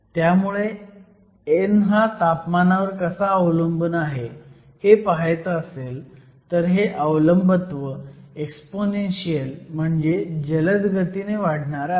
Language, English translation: Marathi, So, if you want to look at the temperature dependence of n, it is an exponential dependence on temperature